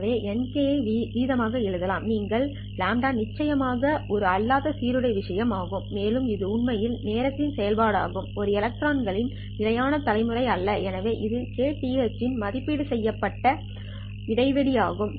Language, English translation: Tamil, So n k can be written as the rate which is lambda of course this is a non uniform thing that is in some this lambda is actually a function of time it's not a constant generation of the electrons so this has to be evaluated at the kth interval what is the value of the rate at the kth interval